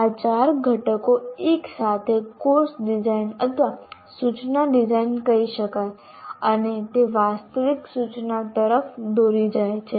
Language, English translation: Gujarati, These four will lead to either I call it course design or instruction design and it leads to actual instruction